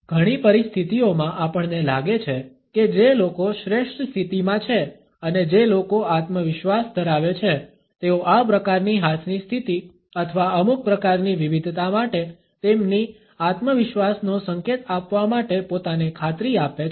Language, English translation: Gujarati, In many situations we find that people who are at a superior position and people who are confident ensure of themselves off for this type of a hand position or some type of a variation to signal their self assurance